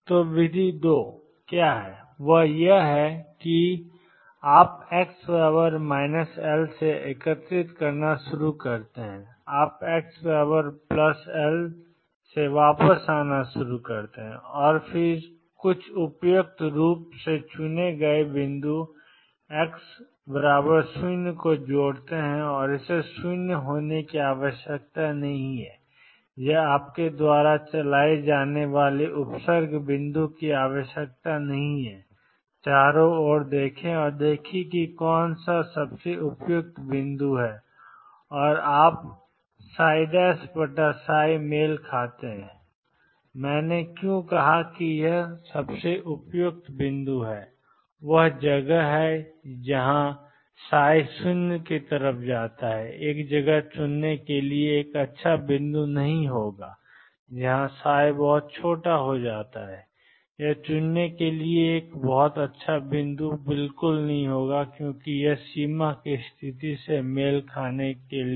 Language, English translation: Hindi, So, method two, which was that you start integrating from x equals minus L onwards you start integrating from x plus L coming back and then add some suitably chosen point x 0, it need not be 0 it need not be a prefix point you play around and see which is the best suited point and you match psi prime over psi why I said it is best suited point is a place where psi goes to 0 would not be a good point to choose a place where psi becomes very small would not be a good point to choose to match the boundary condition